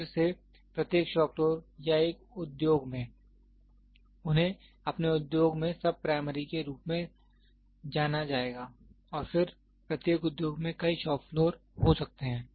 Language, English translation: Hindi, Again every shop floor or an industry, they will have their industry something called as sub primary and then each industry might have several shop floors